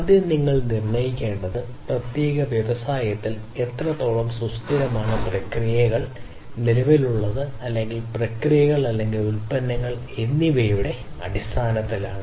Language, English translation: Malayalam, First of all you have to assess how much sustainable that in particular industry is in terms of it is processes that are existing or the processes or the product that is being manufactured